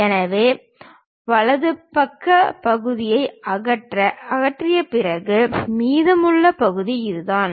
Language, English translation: Tamil, So, after removing the right side part, the left over part is this one